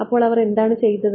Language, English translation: Malayalam, So, what have they done